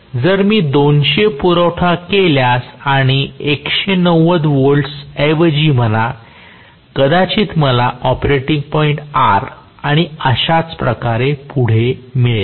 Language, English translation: Marathi, If I apply, say 200 and rather 190 volts, maybe I am going to get the operating point as R and so on